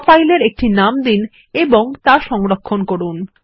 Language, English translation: Bengali, Lets name our Draw file and save it